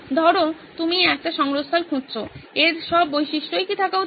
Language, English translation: Bengali, Say, suppose you are looking for a repository, what all features should it absolutely have